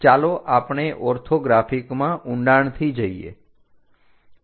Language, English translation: Gujarati, Let us look look at those orthographics in detail